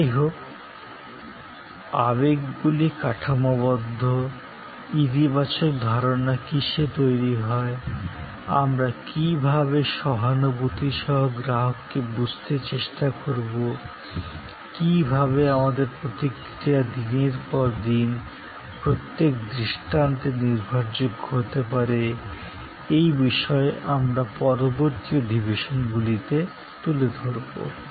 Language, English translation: Bengali, However, emotions are structured, what creates a positive impression, how do we strive to understand the customer with empathy, how our response can be made reliable instance after instance, day after day, a topic that we will take up over the subsequent sessions